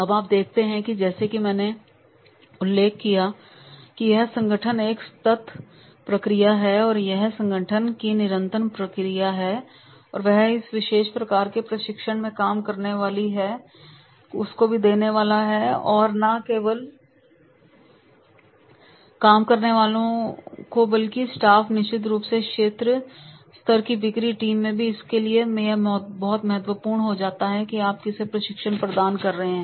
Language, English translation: Hindi, Now you see that is the as I mentioned it is a continuous process of the organization and if it is a continuous process of the organization they are supposed to give this particular type of the training to the workmen also and not only to the workmen but to the staff and then definitely at the regional level sales sales area also